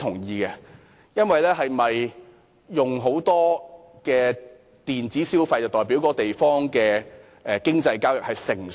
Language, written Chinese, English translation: Cantonese, 一個地方大量使用電子消費，是否就表示該地方的經濟交易成熟？, Does it mean that a place with massive electronic spending is mature in economic transaction?